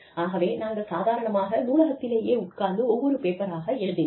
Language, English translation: Tamil, So, we would just sit in the library, and note down, paper after paper